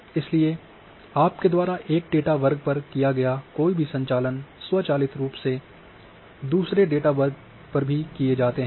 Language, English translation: Hindi, So, any operations you perform on one set of data automatically the similar operations are also performed on the another set of data